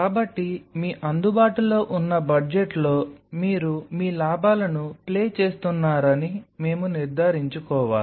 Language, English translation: Telugu, So, we have to ensure that within your available budget you are playing your gain